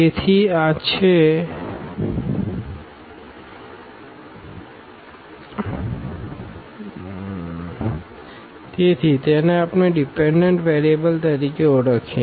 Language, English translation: Gujarati, So, this is; so, called the dependent variables we can call